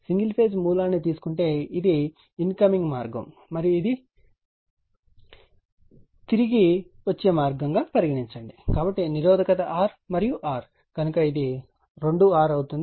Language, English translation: Telugu, Therefore, suppose if you take a single phase source and suppose this is incoming path and this is return path, so resistance is R and R, so it will be two R right